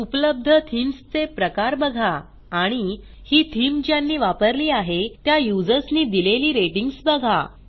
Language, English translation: Marathi, Here you can preview the theme, see the categories of themes available and see the ratings given by other users who have used the theme